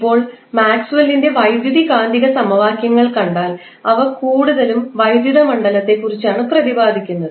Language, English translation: Malayalam, Now, the if you see the electricity and magnetism equations of Maxwell they are mostly talking about the electric field